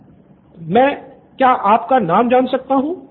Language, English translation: Hindi, Hi can I have your name first